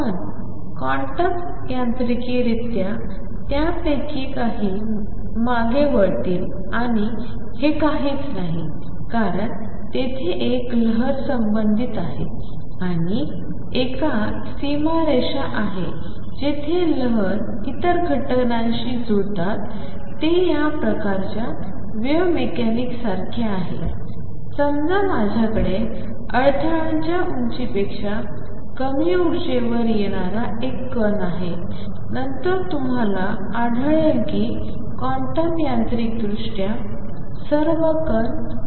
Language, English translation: Marathi, But quantum mechanically some of them would turned back and this is nothing, but because there is a wave associated and there is a boundary condition where waves have to match the other phenomena which is similar to this kind of wave mechanics is where suppose, I have a particle coming at energy lower than the barrier height, then you will find that even quantum mechanically all the particles go back none the less